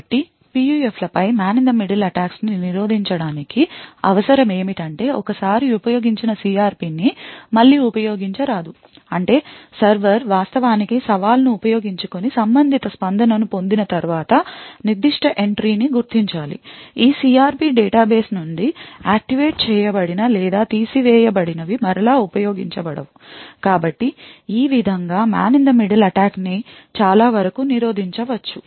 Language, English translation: Telugu, So in order to prevent this man in the middle attacks on PUFs, what is required is that the CRP once used should not be used again which means that once the server actually uses challenge and obtains the corresponding response that particular entry should be marked as the activated or removed from these CRP database are never used again, so this way the man in the middle attack could be prevented to a far extent